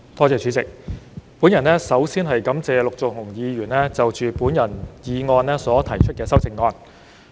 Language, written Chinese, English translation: Cantonese, 主席，我首先感謝陸頌雄議員就我的議案提出修正案。, President before all else I wish to thank Mr LUK Chung - hung for proposing an amendment to my motion